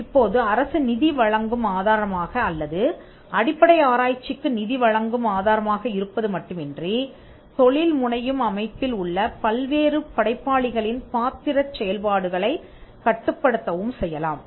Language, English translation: Tamil, Now, the state can apart from being a funder or giving the fund for basic research, the state could also regulate the different roles of different creators in the entrepreneurial set up